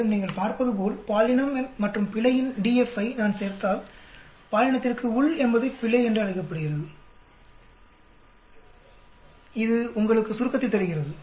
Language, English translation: Tamil, And as you can see if I add up DF of a gender and error, within gender is called error, it will give you the total